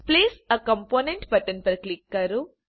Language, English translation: Gujarati, click on Place a component button